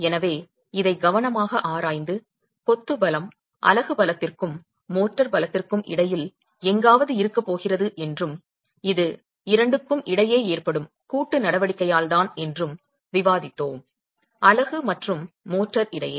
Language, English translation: Tamil, So, we have studied this carefully and we discussed that the strength of the masonry is going to lie somewhere between the strength of the unit and the strength of the motor and this is because of the coaction that occurs between the two, between the unit and the motor